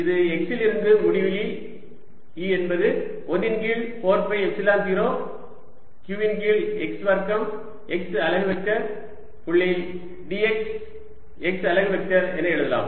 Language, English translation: Tamil, this i can write as: going from x to infinity is one over four, pi epsilon zero q over x, square x unit vector, dot d x, x unit vector, which is equal to x to infinity